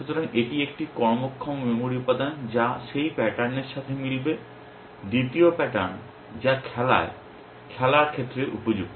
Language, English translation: Bengali, So, this is a working memory element which will match that pattern, second pattern that suit in play, in play